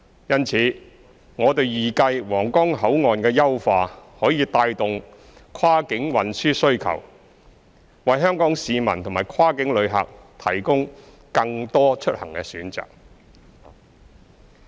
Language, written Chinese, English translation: Cantonese, 因此，我們預計皇崗口岸的優化可帶動跨境運輸需求，為香港市民和跨境旅客提供更多出行選擇。, Therefore we expect that the improvements to Huanggang Port can drive the demand for cross - boundary transport and provide more travel options for Hong Kong people and cross - boundary passengers